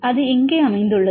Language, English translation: Tamil, So, where this is located